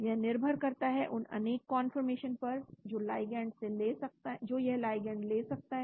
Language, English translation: Hindi, This depends upon the various conformation the ligand can take